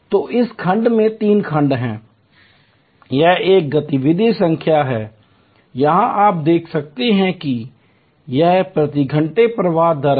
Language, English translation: Hindi, So, in this block there are three sections, the this one is the activity number, here as you can see here it is the flow rate per hour